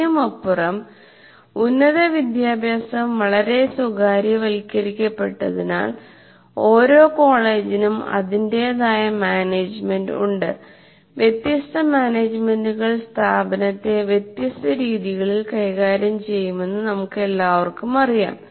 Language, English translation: Malayalam, On top of that, because the education is highly privatized, that means each college has its own management and we all know different management will look at the institution in a different way